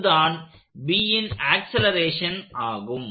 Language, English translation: Tamil, So that is the acceleration of B